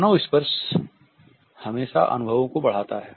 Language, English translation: Hindi, Human touch always intensifies experiences